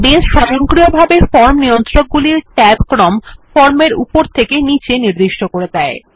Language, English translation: Bengali, Now, Base automatically sets the tab order of the form controls from top to bottom in a form